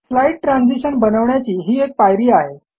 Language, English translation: Marathi, This is the step for building slide transitions